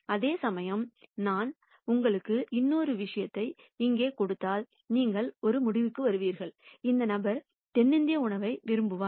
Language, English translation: Tamil, Whereas if I gave you another point here for example, then you would come to the conclusion, this person is likely to like South Indian food